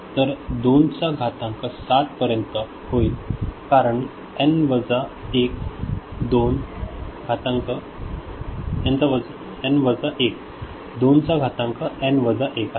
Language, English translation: Marathi, So, it will be 2 to the power 7 because it is a n minus 1, 2 to the power n minus 1